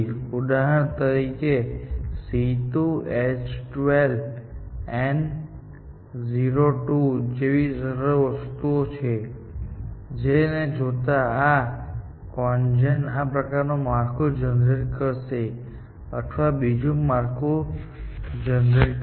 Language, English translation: Gujarati, For example, given a simple thing like C 2 H 12 NO 2, this CONGEN would produce a structure like this, or it would produce another structure